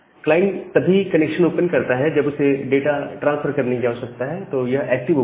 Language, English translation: Hindi, And the client it only opens a connection where there is a need for data transfer that is the kind of active open